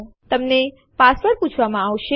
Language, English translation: Gujarati, You will be prompted for a password